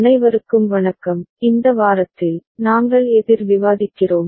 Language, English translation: Tamil, Hello everybody, in this week, we are discussing counter